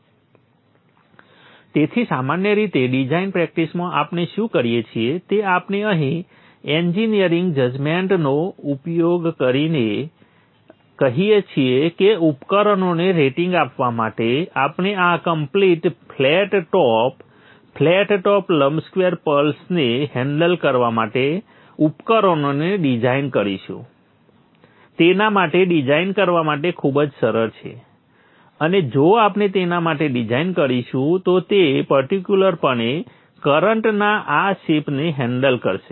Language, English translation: Gujarati, So therefore normally in design practice what we do we use the engineering judgment here and say that for rating the devices we will design the devices to handle this flat top complete flat top rectangular pulse much easier to design for that and if we design for that it will definitely handle this shape of current so that is what we would be trying to do for this is the current wave shape that we will assume for design, only for design purposes, not for any analysis